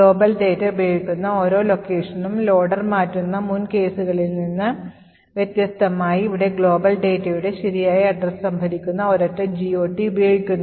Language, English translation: Malayalam, Unlike, the previous case where the loader goes on changing each and every location where the global data is used, here we are using a single GOT table which stores the correct address for the global data